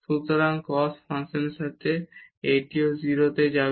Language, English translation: Bengali, So, this with cos function also this will go to 0